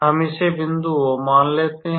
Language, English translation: Hindi, Let us call this as point O